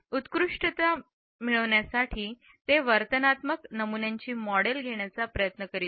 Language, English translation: Marathi, They were trying to model behavioural patterns to obtain excellence